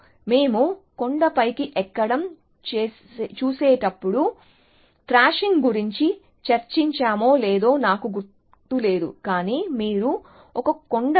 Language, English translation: Telugu, So, I do not know whether we discuss thrashing, when we were looking at hill climbing, but if you imagine a hill, which is like a ridge